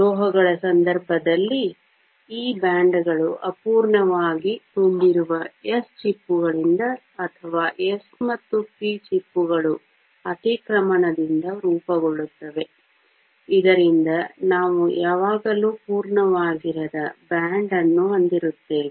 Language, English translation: Kannada, In the case of metals, these bands are formed from s shells that are either incompletely filled or from s and p shells overlapping, so that we always have a band that is not completely full